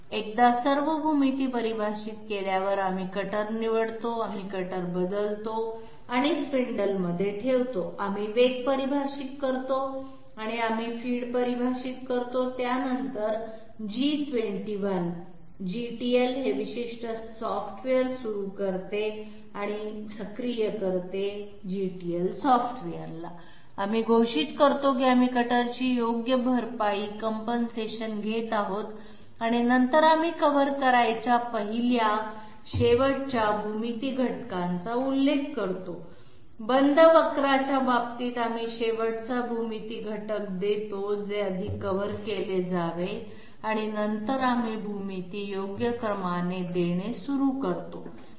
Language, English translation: Marathi, Once the all the dimensions I mean all the geometry is define, we chose the cutter, we change the cutter and put it in on the spindle, we define the speed and we define the feed then G21 starts or invokes or activates this particular software GTL software, we declare that we are taking cutter right compensation and then we mention the first last geometry elements to be covered, in case of closed curves we give the last geometry element to be covered first and then we start giving the geometry in proper sequence